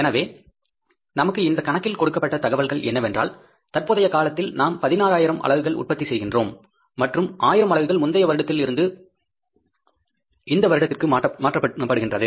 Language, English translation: Tamil, So, information given in this problem is that in the current period we are producing how many 16,000 units and 1,000 units we are transferring from the previous period